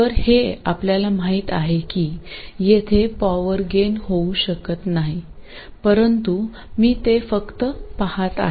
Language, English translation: Marathi, So this we know it cannot give you any power gain but I am just going to go through it